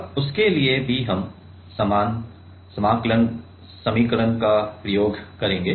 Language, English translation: Hindi, Now, for that also we will use the similar integrating equation ok